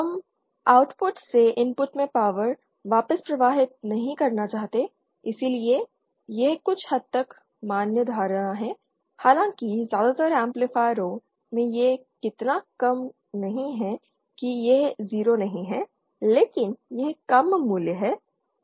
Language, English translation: Hindi, We don’t want the power to flow back from the Output to the input so this is a somewhat valid somewhat valid assumption though in most amplifiers it is not so low it is not 0 but it is a low value